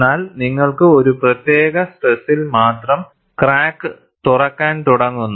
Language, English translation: Malayalam, But you have, at a particular stress only, the crack starts opening